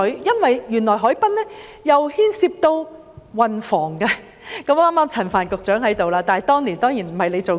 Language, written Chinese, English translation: Cantonese, 原來海濱規劃牽涉到運房局，陳帆局長剛好在席，但當年他當然不在任。, It transpires that harbourfront planning also involves the Transport and Housing Bureau . Secretary Frank CHAN is here in the Chamber . He was certainly not in that capacity back then